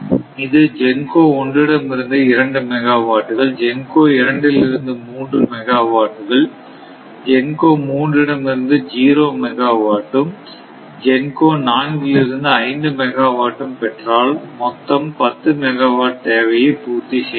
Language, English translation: Tamil, Suppose it has contact with GENCO 1 right GENCO 1, suppose it has contact say 2 megawatt with GENCO 1, then with GENCO 2 right suppose it has 3 megawatt right GENCO 3 it may be 0 also does not matter right it may be 0 also suppose GENCO 3 0 megawatt and GENCO 4 suppose it has 5 megawatt the total is 10 megawatt right